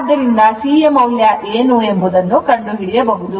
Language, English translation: Kannada, So, you can kind out what is the value of C right